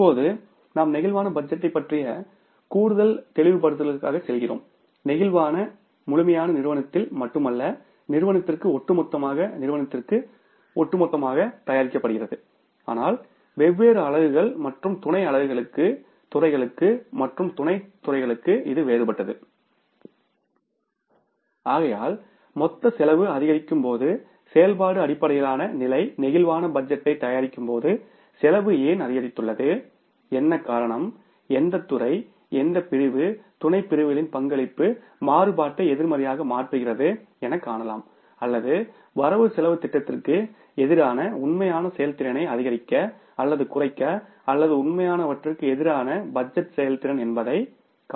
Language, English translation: Tamil, I told you that the flexible budget is not only prepared in the absolute form for the firm as a whole or the organization as a whole but for the different units and subunits, different departments and sub departments so that when the total cost goes up you can easily find out while preparing the activity based level flexible budget that why the cost has increased, what was the reason which department, which sections of sections contribution has been to make the variances negative or to increase the or to decrease the actual performance against the budgeted or the budgeted performance against the actual